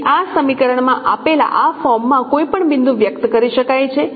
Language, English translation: Gujarati, So this can be this so any point can be expressed in this form given in this equation